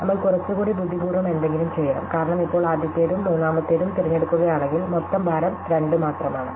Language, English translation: Malayalam, So, we have to do something little more clever, because now if we choose the first one and the third one, then the total weight is only 2